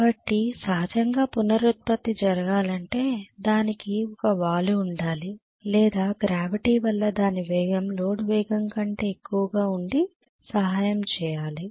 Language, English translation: Telugu, So naturally if regenerative has to take place, it has to have a slope or the gravity has to aid the velocity to become higher than the no load speed